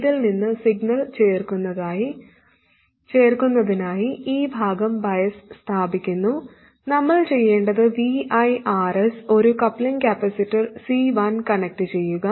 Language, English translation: Malayalam, To add the signal from this, what we have to do is VIRS and connect a coupling capacitor C1